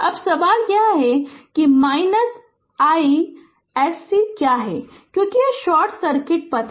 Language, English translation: Hindi, Now, question is that what is your i s c because this is a short circuit path